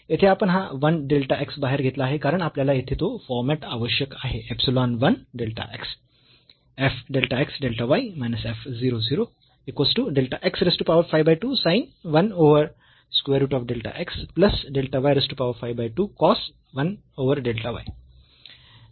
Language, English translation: Marathi, Here we have taken this 1 delta x outside because, we need that format here epsilon 1 delta x